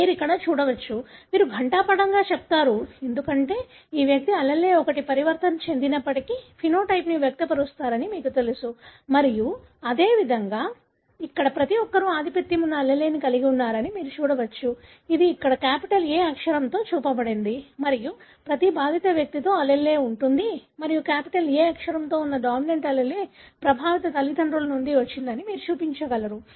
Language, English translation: Telugu, You can see here, you say dominant, because you know this individual would express the phenotype even if one of the allele is mutated and likewise you can see everyone here are having an allele which is the dominant, which is shown here with a capital A and that is that allele is present in every affected individual and you can show that that dominant allele with capital A has come from the affected parent